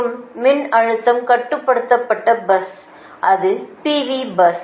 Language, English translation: Tamil, and voltage controlled bus, that is p v s right